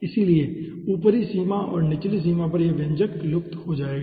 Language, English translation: Hindi, so at upper limit and lower limit this expression will be vanishing